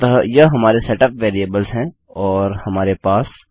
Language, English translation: Hindi, So this is our setup variables